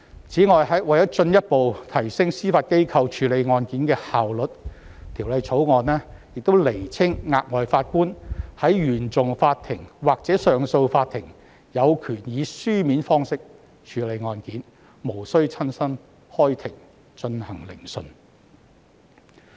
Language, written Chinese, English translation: Cantonese, 此外，為了進一步提升司法機構處理案件的效率，《條例草案》亦釐清額外法官在原訟法庭或上訴法庭有權以書面方式處理案件，無須親身開庭進行聆訊。, Moreover in order to further enhance the efficiency of the Judiciary in handing cases the Bill also clarifies that an additional judge in CFI or CA has the power to dispose of cases on paper without physically sitting in court